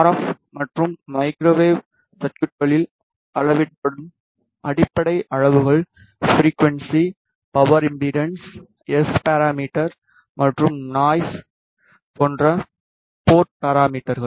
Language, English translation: Tamil, So, the basic quantities which are measured in RF and microwave circuits are frequency, power impedance, port parameters which are S parameters and noise